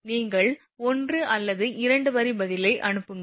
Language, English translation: Tamil, You will write 1 or 2 line answer and you will send it to me